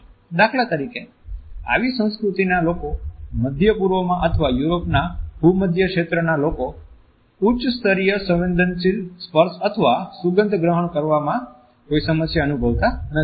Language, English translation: Gujarati, People in such cultures for example, people in the Middle East or in the Mediterranean region of Europe are comfortable with high levels of sensory inputs from touch or also from a smell